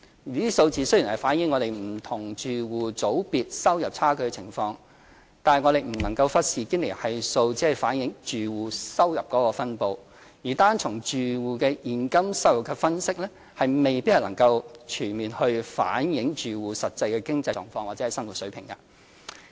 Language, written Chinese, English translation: Cantonese, 這個數字雖然反映香港不同住戶組別收入差距的情況，但我們不能忽視堅尼系數只反映住戶收入分布，而單從住戶的現金收入分析未必能全面反映住戶實際的經濟狀況或生活水平。, Although the figure reflects the disparity in income among different household groups in Hong Kong we cannot neglect that Gini Coefficient only indicates household income distribution and that we may not be able to comprehensively reflect the actual economic situation or quality of life of the households by solely analysing cash income